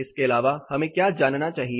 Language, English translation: Hindi, Apart from this, what we need to know